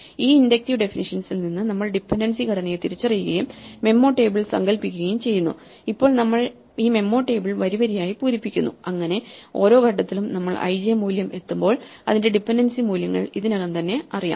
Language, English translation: Malayalam, This is how our inductive definition neatly allows us to deal with holes and from that inductive definition we recognize the dependency structure and we imagine the memo table and now we are filling up this memo table row by row so that at every point when we reach an (i, j) value its dependent values are already known